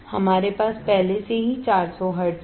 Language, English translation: Hindi, So, we will get 400 hertz